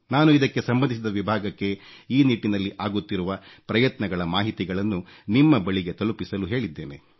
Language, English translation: Kannada, I have instructed the concerned department to convey to you efforts being made in this direction